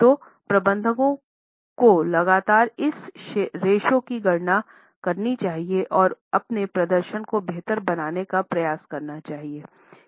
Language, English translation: Hindi, So, for managers, they would continuously calculate this ratio and try to improve their performance